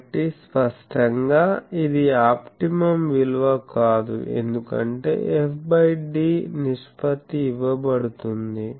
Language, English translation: Telugu, So obviously, this is not an optimum because f by d ratio is given